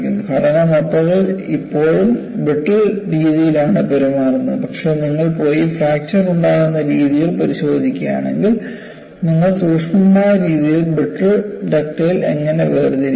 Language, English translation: Malayalam, The structure as a whole, still behaves in a brittle fashion, but if you go and look at the mechanisms of fracture, you classify in a certain fashion as brittle and ductile